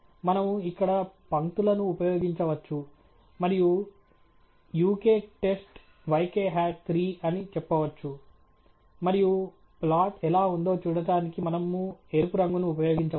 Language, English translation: Telugu, We can use here lines and say uk test, yk hat 3, and we can use a red color to see how the plot is